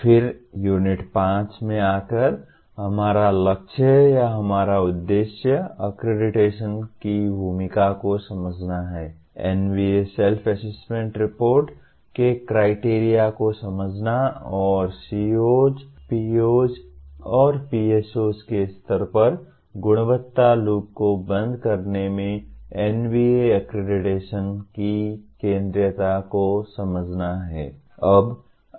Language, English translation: Hindi, Then coming to Unit 5, our goal or our aim is to understand the role of accreditation, understand the criteria of NBA Self Assessment Report and understand the centrality of NBA accreditation in closing the quality loop at the levels of COs, POs and PSOs